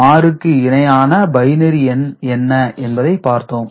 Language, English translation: Tamil, 6 is to be represented in binary